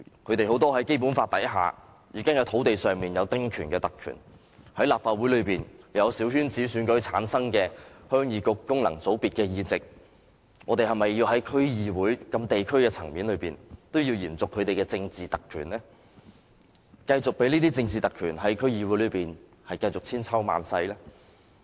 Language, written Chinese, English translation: Cantonese, 他們很多人在《基本法》下已經在土地上享有丁權這特權，在立法會內有小圈子選舉產生的鄉議局功能界別議席，我們是否要在區議會這地區層面也要延續他們的政治特權呢？繼續任由這些政治特權在區議會內千秋萬世呢？, Most of them already have the privilege of small house concessionary right under the Basic Law in terms of land rights as well as the functional constituency seat of Heung Yee Kuk returned by a small - circle election to the Legislative Council are we still going to extend their political privileges to local DCs and let these political privileges last forever?